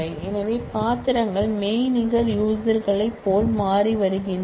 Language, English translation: Tamil, So, roles are becoming like virtual users